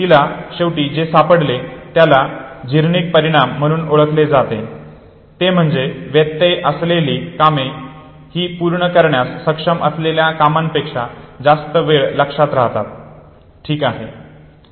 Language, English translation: Marathi, What she finally found out and what is now called as Zeigarnik effect is, that interrupted tasks where remembered more frequently than those which who are able to complete, okay